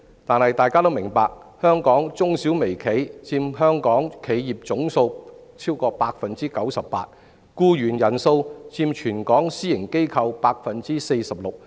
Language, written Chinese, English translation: Cantonese, 但大家也明白，香港中小微企佔本港企業總數逾 98%， 僱員人數佔全港私營機構 46%。, Yet it is common knowledge that micro small and medium enterprises account for over 98 % of all enterprises in Hong Kong with 46 % of private sector employees across the territory on their payrolls